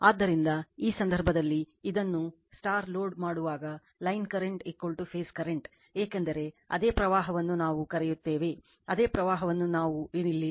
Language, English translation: Kannada, So, when loading this star in this case, line current is equal to phase current because same current is your what we call, the same current i is going entering here right